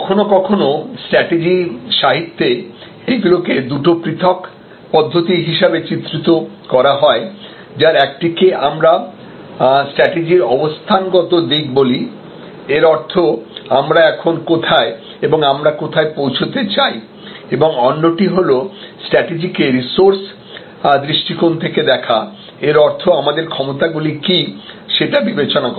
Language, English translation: Bengali, So, sometimes in strategy literature these are portrayed as two different approaches, one which we call a position view of strategy; that means, where we are and where we want to be and another is resource view of strategy; that means, think in terms of what our capabilities are